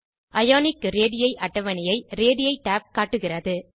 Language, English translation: Tamil, Radii tab shows a table of Ionic radii